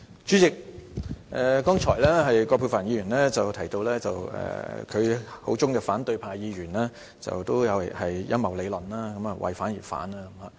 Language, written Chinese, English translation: Cantonese, 主席，剛才葛珮帆議員提到，她口中的反對派議員均有陰謀理論，為反而反。, Chairman just now Dr Elizabeth QUAT said that the opposition Members were conspiracy theorists and they opposed for the sake of opposition